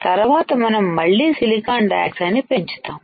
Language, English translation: Telugu, Next is we again grow silicon dioxide